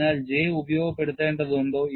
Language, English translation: Malayalam, What are the usefulness of J